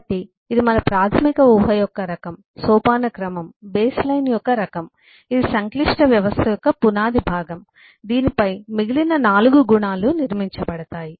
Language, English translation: Telugu, so it’s kind of our basic assumption: is hierarchy is the kind of base line, is kind of the foundational part of the complex system on which the remaining 4 attributes are eh built up